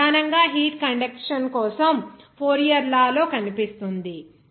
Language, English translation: Telugu, It appears primarily in Fourier’s law for heat conduction